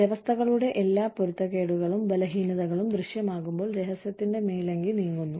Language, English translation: Malayalam, Since, all the systems inconsistencies and weaknesses, become visible, once the cloak of secrecy is lifted